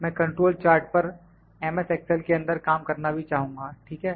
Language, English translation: Hindi, I will also like to work on the control charts in excel M